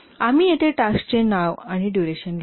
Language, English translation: Marathi, We write the name of the tasks and the durations here